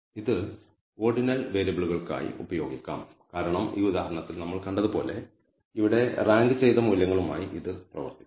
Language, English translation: Malayalam, Again this can be used for ordinal variables because it can work with ranked values here as we have seen in this example